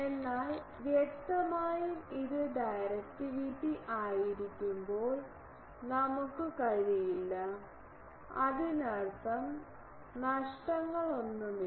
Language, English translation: Malayalam, But obviously, we cannot when this is directivity; that means, there are no losses